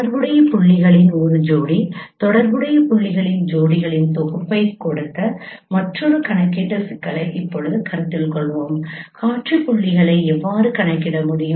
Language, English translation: Tamil, We will now consider another computational problem that given a pairs of corresponding points, a set of pairs of corresponding points, a set of pairs of corresponding points, how can you compute the scene points